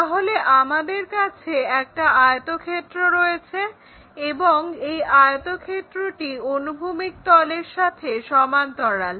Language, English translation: Bengali, So, we have a rectangle here and this is parallel to horizontal plane